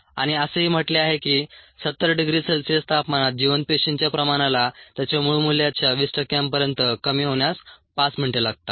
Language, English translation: Marathi, at seventy degree c it takes five minutes for the viable cell concentration to reduce to twenty percent of its original value